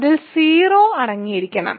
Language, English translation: Malayalam, So, it must contain 0